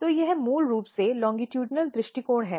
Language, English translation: Hindi, So, this is basically longitudinal view